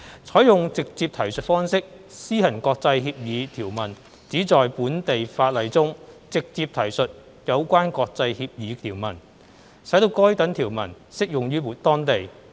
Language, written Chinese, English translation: Cantonese, 採用"直接提述方式"施行國際協議條文旨在本地法例中直接提述有關國際協議條文，使該等條文適用於當地。, The adoption of the direct reference approach means the direct reference to provisions of international agreements in local laws so as to apply such provisions locally